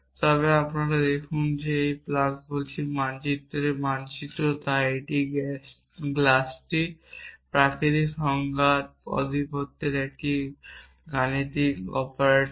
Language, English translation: Bengali, But let see more we're saying that plus map maps so this plus is and arithmetic operator on the domine of natural numbers